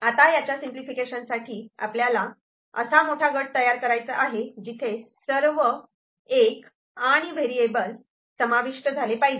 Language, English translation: Marathi, Now, for the simplification, so we have to form the largest group, where all the 1’s and the variables need to be covered, all the 1’s and the variable need to be covered